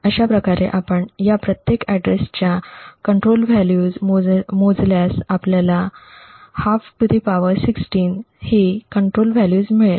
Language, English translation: Marathi, Thus, if we compute the control value for each of these address lines we would get a control value of (1/2) ^ 16